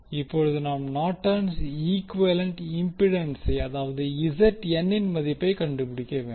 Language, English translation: Tamil, We need to find out value of Norton’s equivalent impedance that is Zn